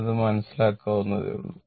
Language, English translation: Malayalam, So, understandable to you